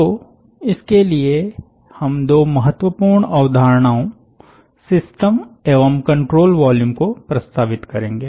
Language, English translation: Hindi, so for that we will introduce two important concepts: system and control volume